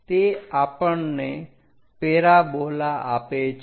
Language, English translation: Gujarati, That gives us parabola